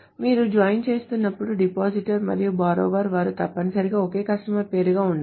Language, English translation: Telugu, So it must have that when you're joining, the depositor and borrower, they must be the same customer name